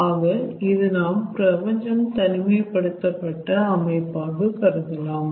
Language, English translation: Tamil, so you can consider universe to be an isolated system